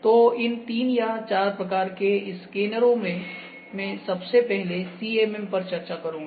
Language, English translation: Hindi, So, before that therefore 3 or 4 types of 3D scanners, number one that I am going discuss here is CMM